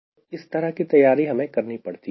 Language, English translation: Hindi, so that sort of planning you have to do